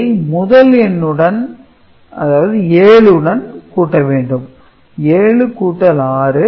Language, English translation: Tamil, So, this will give you 6 right then you add it up 7 plus 6 it is 13 right